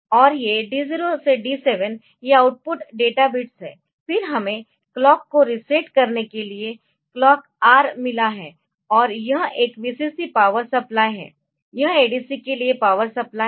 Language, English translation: Hindi, And this D 0 to D 7 these are the output databits, then we have got clock R so, the for resetting the clock, and this is a Vcc power supply so, it is the power supply for the ADC